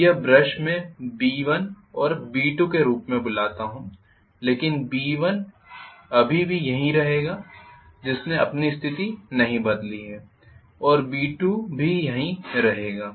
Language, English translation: Hindi, Now this brush let me call this as B1 and this as B2 but B1 would still remain here that would have not changed its position, and I would have had similarly B2 he is still remaining here